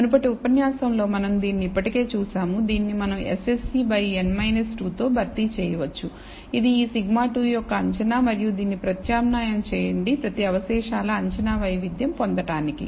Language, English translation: Telugu, We have already seen this in the previous lecture, we can replace this by s s e by n minus 2, which is an estimate of this sigma squared and substitute this to get an estimated variance of each residual